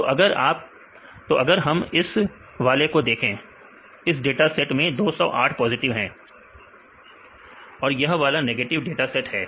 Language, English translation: Hindi, So, if we see this one here the data set is 208 positives and this is the negative data sets; this is plus and this is the negative data set